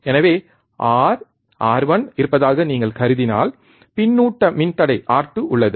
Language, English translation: Tamil, So, if you assume there is R, R 1 there is a feedback resistor R 2